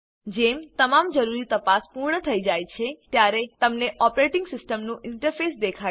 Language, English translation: Gujarati, When all the necessary checks are done, you will see the operating systems interface